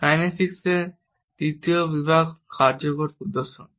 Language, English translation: Bengali, The third category of kinesics is effective displays